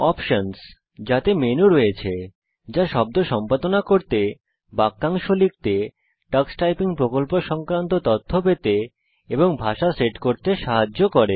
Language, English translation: Bengali, Options – Comprises menus that help us to edit words, learn to type phrases, get information on the tux typing project, and set up the language